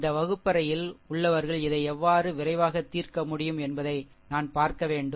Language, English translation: Tamil, We have to see that classroom how we can quickly we can solve this one